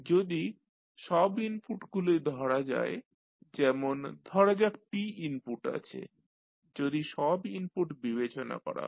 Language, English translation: Bengali, If you consider all the inputs say there are p inputs if you consider all the inputs